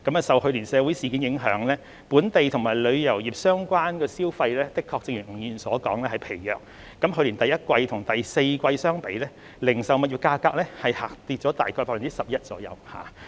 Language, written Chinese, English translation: Cantonese, 受去年的社會事件影響，本地及旅遊業相關的消費的確正如吳議員所說是疲弱的，去年第一季與第四季相比，零售物業價格下跌大約 11%。, The social incidents last year have as Mr NG described weakened local and tourist spending . As compared with the first quarter of last year the retail property prices in the fourth quarter of last year have dropped roughly by 11 %